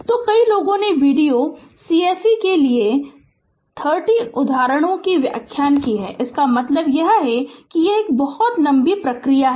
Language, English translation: Hindi, So, many we have explained 30 examples for video course right, I mean it is it is it is very lengthy procedure right